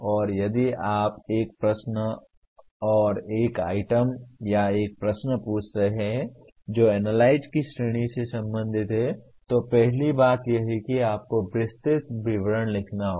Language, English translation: Hindi, And if you are trying ask a question/an item or a question that belongs to the category of analyze, first thing is you have to write elaborate description